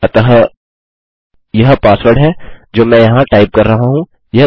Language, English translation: Hindi, So, this is the password I am typing in here